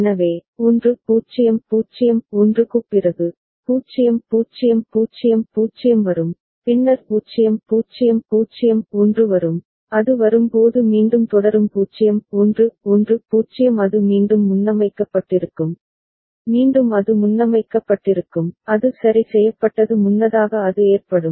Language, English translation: Tamil, So, after 1 0 0 1, 0 0 0 0 will come then 0 0 0 1 will come and that way it will continue after again when it comes 0 1 1 0 it will again get preset, again it will get preset, that fixed preset it will occur